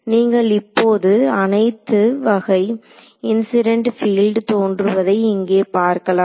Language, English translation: Tamil, So, you can see all the incident field terms are going to appear here